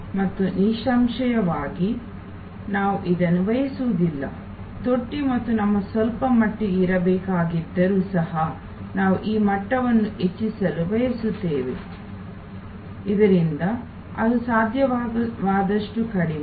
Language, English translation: Kannada, And obviously, we do not want this, the trough and we even if it has to be there to some extent, we would like to raise this level, so that it is as minimal as possible